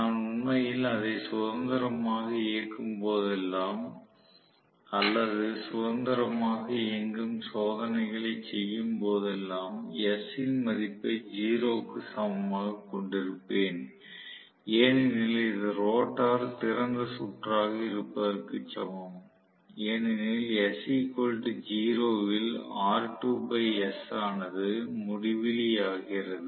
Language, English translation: Tamil, So, whenever, I am actually running it freely or free running test I am going to have s equal to 0 because of which it is as good as rotor is open circuited because r2 by s becomes infinity, right at s equal to 0